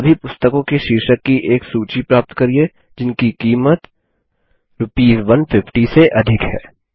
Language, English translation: Hindi, Get a list of all book titles which are priced more than Rs 150 3